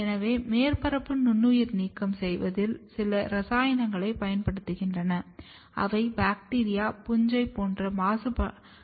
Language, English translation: Tamil, So, in surface sterilization, certain chemicals are used which kills the contamination like bacteria, fungus